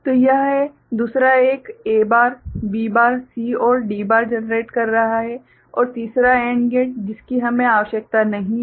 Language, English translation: Hindi, So, this is the second one is generating A bar, B bar, C and D bar and the third AND gate we do not need